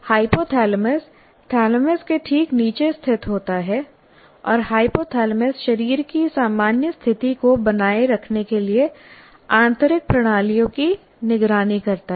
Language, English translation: Hindi, As we said, hypothalamus is located just below thalamus and hypothalamus monitors the internal systems to maintain the normal state of the body